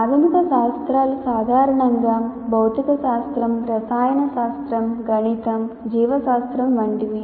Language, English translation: Telugu, Basic sciences normally constitute physics, chemistry, mathematics, biology, such things